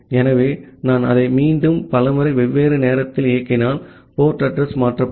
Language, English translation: Tamil, So, if I run it again multiple time at different time, the port address gets changed